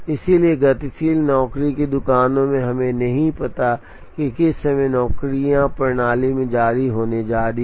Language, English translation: Hindi, So in dynamic job shops, we do not know what time the jobs are going to be released into the system